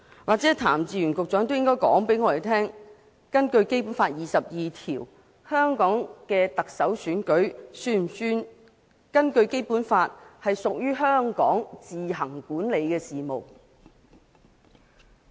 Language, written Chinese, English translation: Cantonese, 也許譚志源局長應該告訴我們，根據《基本法》第二十二條，香港行政長官選舉是否屬於香港自行管理的事務。, Perhaps Secretary Raymond TAM should tell us whether the Chief Executive Election is an affair which Hong Kong administers on its own according to Article 22 of the Basic Law